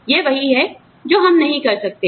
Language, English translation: Hindi, This is what, I cannot do